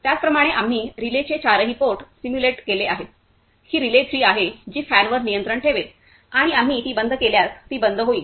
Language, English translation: Marathi, Similarly we have simulated all the four ports of the relay which is relay three that will control the fan and when we switch it off, it will turned off